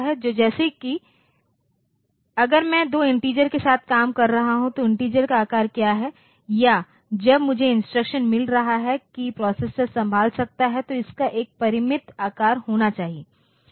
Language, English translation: Hindi, So, like if I am working with some two, in a two integers, this integer what is the size of the integer or when I am getting an instruction this instruction for that the processor can handle, it should have a finite size